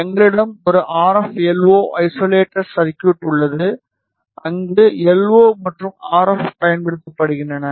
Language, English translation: Tamil, We have a RF LO isolator circuit where LO and RF are applied